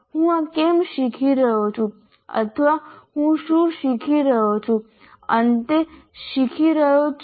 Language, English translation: Gujarati, Why am I learning this or what is it that I am learning at the end